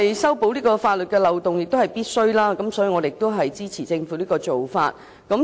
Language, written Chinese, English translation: Cantonese, 修補法律漏洞是政府必須做的，故我們亦支持政府這做法。, It is necessary for the Government to plug the loopholes in law and therefore we support the Government in doing so